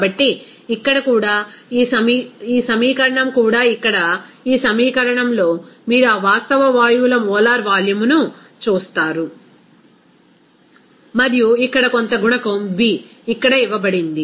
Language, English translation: Telugu, So, here also, this equation even this is also you will see that at this equation here, you will see the molar volume of that real gases and also some coefficient here b is given here